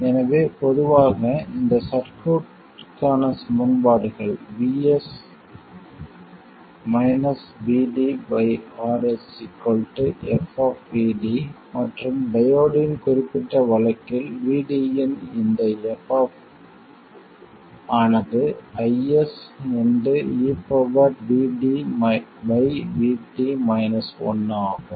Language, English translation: Tamil, So, in general terms, the equations for this circuit were vS minus vD by r equals f of vd, and for the particular case of the diode, this f of vd was i